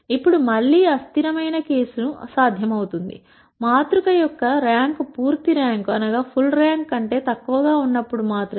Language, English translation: Telugu, Now again inconsistent case is possible, only when the rank of the matrix is less than full rank